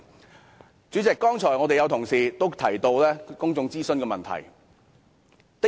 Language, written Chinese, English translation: Cantonese, 代理主席，剛才有同事提到公眾諮詢的問題。, Deputy President some colleagues mentioned public consultation just now